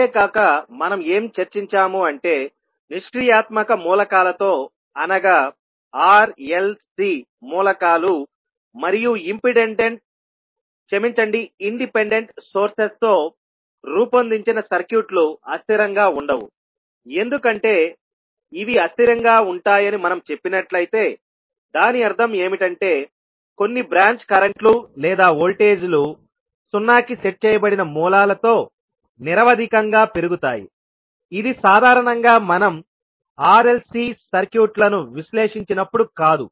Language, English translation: Telugu, Now we also discussed that, the circuits which are made up of passive elements that is R, L, C elements and independent sources will not be unstable because if we say that these can be unstable that means that there would be some branch currents or voltages which would grow indefinitely with sources set to zero, which generally is not the case, when we analyze the R, L, C circuits